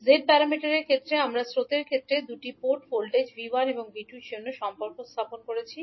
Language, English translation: Bengali, So in case of z parameters we stabilized the relationship for V1 and V2 that is the voltages at the two ports in terms of the currents